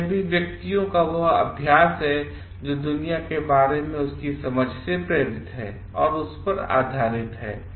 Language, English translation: Hindi, So, this is also persons own practice which is based on his or her understanding of the world